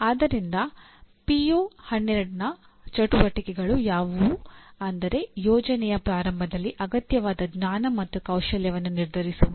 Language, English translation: Kannada, So the activities of PO12 include determine the knowledge and skill needed at the beginning of a project